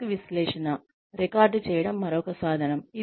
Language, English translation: Telugu, Task analysis, record form is another tool